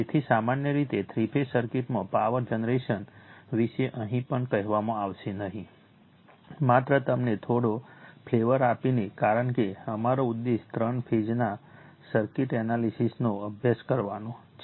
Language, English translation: Gujarati, So, generally power generation in three phase circuit nothing will be told here just giving you some flavor, because our objective is to study the three phase circuit analysis